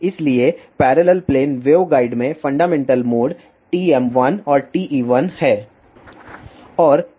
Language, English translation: Hindi, So, in parallel plane waveguide the fundamental modes are TM 1 and TE 1